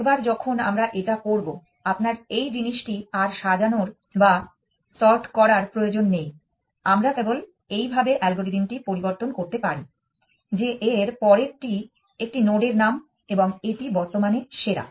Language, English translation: Bengali, Once we are going to do this, you do not your need to sort this thing we can simply modify the algorithm as follows that next and next is a name of a node it is simply the best of current